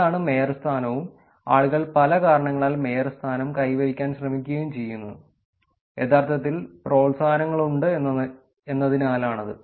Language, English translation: Malayalam, that is the mayorship and people do mayorship for many reasons, there is actually incentives that are done